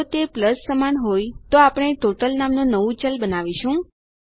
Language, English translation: Gujarati, If it equals to a plus then we will create a new variable called total